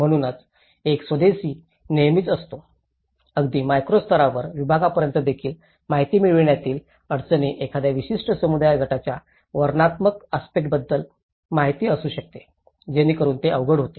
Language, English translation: Marathi, So, there is always an indigenous, the difficulties in accessing the information of even a micro level segment it could be an information about a behavioural aspect of a particular community group, so that becomes difficult